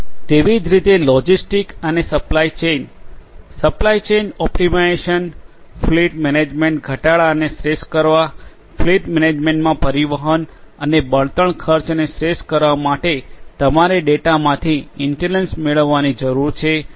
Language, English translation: Gujarati, For likewise for logistics and supply chain, supply chain optimization, fleet management optimizing the reduction, optimizing the transportation and fuel costs in fleet management you need to derive intelligence out of the data